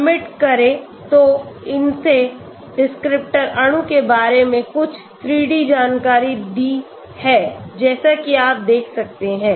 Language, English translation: Hindi, Submit okay so it has given some 3 D information about the descriptor molecule as you can see